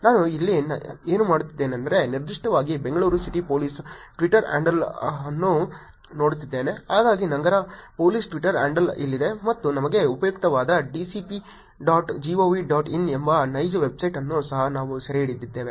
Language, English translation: Kannada, What I am doing here is, specifically looking at a Twitter handle of Bangalore City Police, so here is the city police Twitter handle and we have also captured the actual website which is dcp dot gov dot in which is useful for us